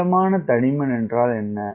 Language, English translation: Tamil, what is a moderate thickness